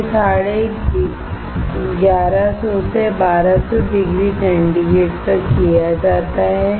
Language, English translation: Hindi, It is carried out at 1150 to 1200 degree centigrade